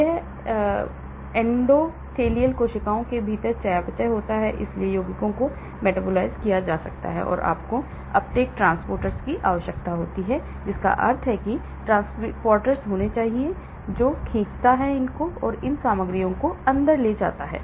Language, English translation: Hindi, it is not the permeation type of thing and there is metabolism within endothelial cells , so compounds can get metabolized and you need uptake transporters that means there has to be transporters which pulls; takes these material inside